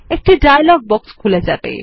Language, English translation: Bengali, A dialog box will open